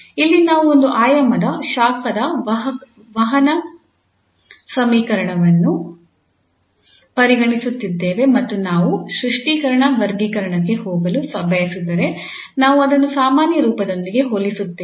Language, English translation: Kannada, So here we are considering the one dimensional this heat conduction equation and if we want to go for the clarification, the classification so we compare again with the general form